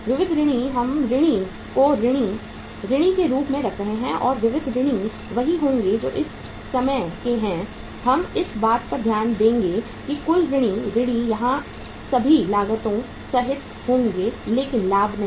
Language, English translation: Hindi, Sundry debtors we are keeping the debtors as sundry debtors and sundry debtors will be of what that is of the at the this we will be taking into consideration the total sundry debtors will be including all the cost here but not the profit